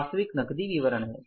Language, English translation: Hindi, Actual is the cash statement